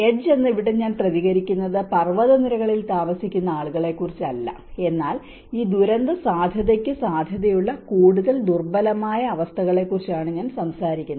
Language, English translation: Malayalam, Edge here I am not responding that people living on the mountainous edge but I am talking about the more vulnerable conditions who are prone to these disaster risk